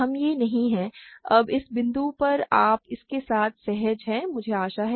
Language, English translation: Hindi, We this is not, now at this point you are comfortable with this I hope